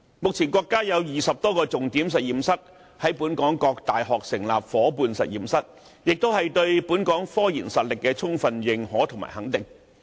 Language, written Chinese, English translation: Cantonese, 目前，國家有20多個重點實驗室，在本港各大學成立了夥伴實驗室，這是對本港科研實力的充分認可及肯定。, The 20 - odd Partner State Key Laboratories set up in Hong Kong universities can fully testify the States recognition and approval of Hong Kongs technological research capability